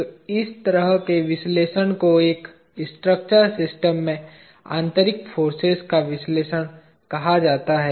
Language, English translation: Hindi, So, such an analysis called analysis of internal forces in a structural system